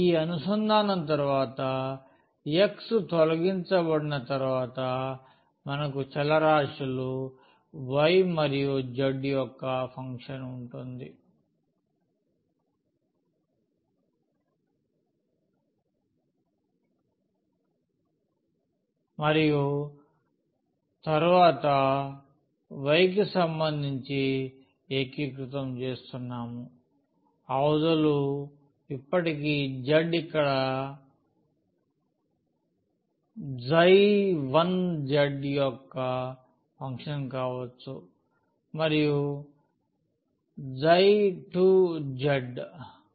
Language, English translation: Telugu, After this integration the x is removed we have the function of variable y and z and then we are integrating with respect to y the limits still can be the function of z like here psi 1 z and psi 2 z